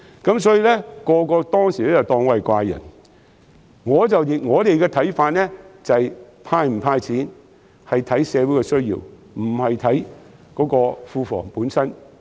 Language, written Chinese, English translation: Cantonese, 當時所有人都當我是怪人，但我們的看法是，"派錢"與否應視乎社會的需要，而不是視乎庫房本身。, Everyone thought I was a freak back then . However we hold that to hand out cash or not should depend on the societys needs rather than the Treasury itself